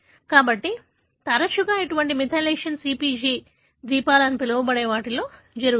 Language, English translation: Telugu, So, more often, such methylation happens in what is called as CpG islands